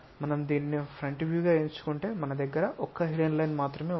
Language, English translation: Telugu, If we are picking this one as the view front view there is only one hidden line we have